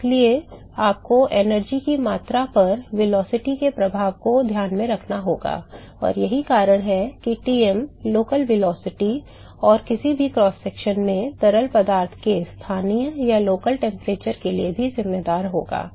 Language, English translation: Hindi, So, therefore, you have to take into account the effect of the velocity on the amount of energy that is carried, and that is why Tm will account for the local velocity, and also the local temperature in the fluid at any cross section